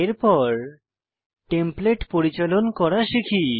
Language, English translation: Bengali, Next, lets learn how to manage Templates